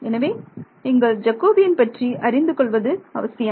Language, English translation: Tamil, So, it is important that you let the Jacobian